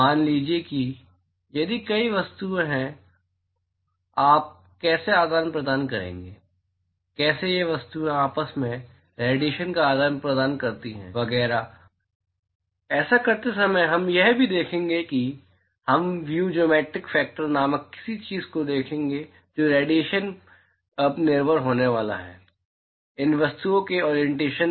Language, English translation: Hindi, Supposing if there are multiple objects then how would you exchange, how does how do these objects exchange radiation between themselves etcetera and while doing that we will also look at we will look at something called view/geometric factor those the radiation is now going to depend upon the orientation of these objects